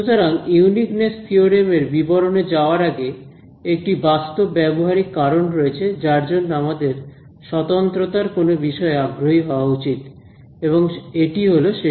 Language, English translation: Bengali, So, before we go in to the details of the uniqueness theorem, there is a very practical reason why we should be interested in something which is uniqueness and that is this